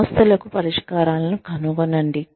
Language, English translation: Telugu, Find solutions to problems